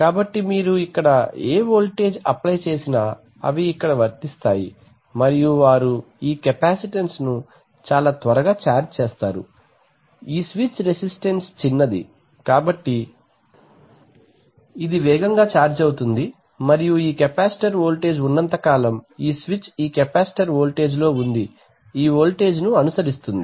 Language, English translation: Telugu, So this is a buffer unity gain buffer so whatever voltage you apply here, they will apply here and they will charge it up this capacitance very quickly, this switch resistance is small, so it will fast charge up and this capacitor voltage will as long as this switch is on this capacitor voltage will follow this voltage, right